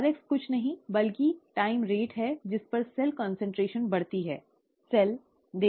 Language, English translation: Hindi, The rx is nothing but the time rate at which the cell concentration increases, okay